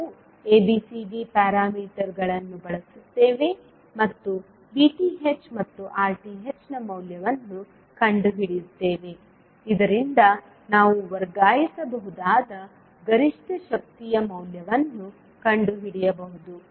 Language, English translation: Kannada, So we will use ABCD parameters and find out the value of VTH and RTH so that we can find out the value of maximum power to be transferred